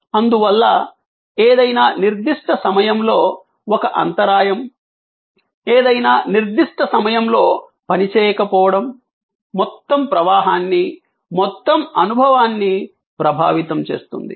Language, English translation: Telugu, Therefore, a jam at any particular point, a malfunction at any particular point can affect the whole flow, the whole experience